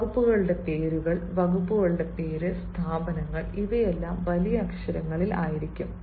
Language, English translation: Malayalam, the names of departments, the names of departments, institutions know, all these will be in capitals